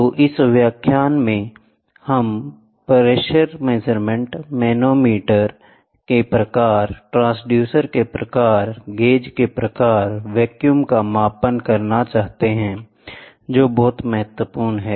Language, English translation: Hindi, So, in this lecture, we would like to cover pressure measurements, types of the manometers, types of transducer, types of gauges, measurement of vacuum which is very, very important